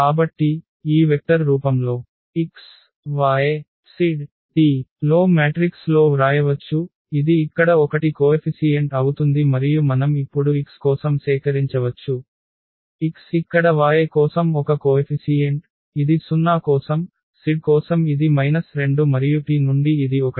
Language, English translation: Telugu, So, we can write down in a matrix in this vector form x, y, z, t will be this mu 1 the constant here and this we can collect now for x, x is one the coefficient here for y it is 0, for z it is minus 2 and from t it is 1